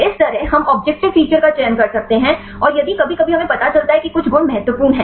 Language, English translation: Hindi, Likewise we can do the objective feature selection and if sometimes if we know some properties are important right